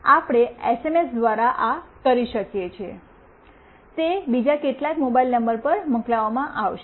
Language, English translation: Gujarati, Wee can do this of course through SMS, it will be sent to some other mobile number